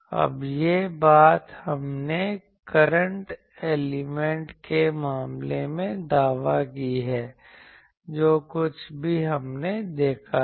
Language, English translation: Hindi, Now, this thing we claimed in case of current element in case of whatever antennas we have seen